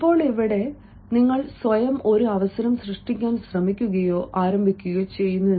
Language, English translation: Malayalam, now, here you are yourself, attempting or initiating to create an opportunity for you